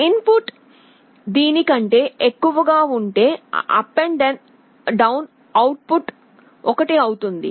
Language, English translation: Telugu, If the input is greater than this, the U/D’ output will be 1